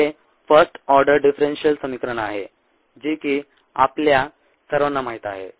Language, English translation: Marathi, this is the first order differential equation which you are all familiar with